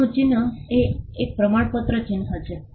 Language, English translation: Gujarati, Old mark is a certification mark